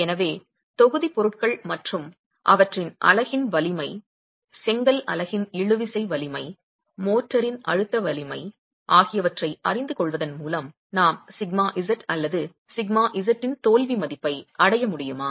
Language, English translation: Tamil, So, knowing the constituent materials and the constituent strength, the tensile strength of the brick unit, the compressive strength of the motor, will we be able to arrive at sigma z or the failure failure value of sigma z itself